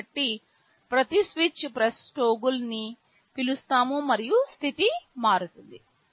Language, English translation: Telugu, So, for every switch press toggle will be called and the status will change